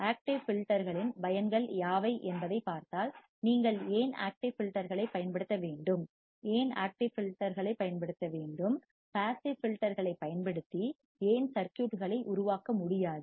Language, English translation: Tamil, Now, if you see what are the advantage of active filters, why we have to use active filters, why we have to use active filters, why we cannot generate the circuits using passive filters